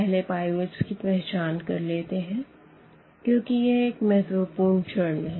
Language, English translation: Hindi, So, let us identify the pivots because that is another important step